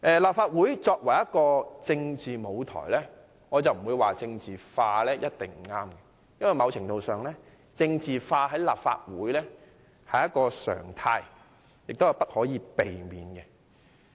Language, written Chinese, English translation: Cantonese, 立法會作為一個政治舞台，我並不認為政治化一定不對，因為某程度上，政治化在立法會是一個常態，亦無可避免。, The Legislative Council is a political stage . I am not saying that politicization is definitely because to a certain extent politicization is the norm of the Council and is unavoidable